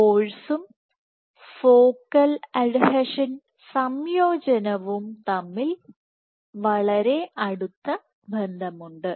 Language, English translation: Malayalam, So, there is a very close relationship between force and focal adhesion assembly